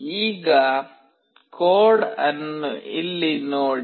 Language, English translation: Kannada, Now, see the code here